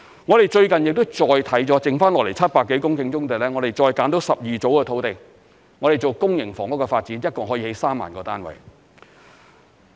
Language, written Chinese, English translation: Cantonese, 我們最近亦再檢視了剩下來700多公頃的棕地，並再物色了12組的土地，作公營房屋發展，一共可以建造3萬個單位。, In addition recently we have reviewed the remaining 700 hectares of brownfield sites and identified 12 more clusters of land for developing public housing which will provide a total of 30 000 units